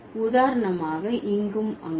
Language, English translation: Tamil, For example, here and there